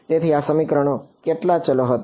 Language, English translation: Gujarati, So, how many variables were there in this equation